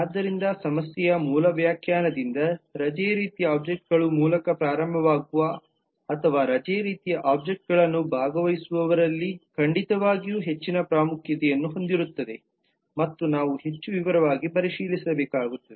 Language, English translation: Kannada, so that by the basic definition of the problem most of the actions that are either initiated by leave kind of objects or where leave kind of objects are a participant certainly has more importance and we will have to looked into in greater detail